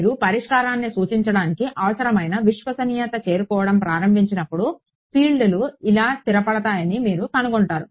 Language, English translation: Telugu, As you begin to approach the required fidelity for representing the solution, you will find that the fields stabilize like this